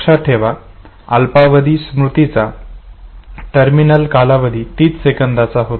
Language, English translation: Marathi, Remember the terminal duration for short term memory was thirty seconds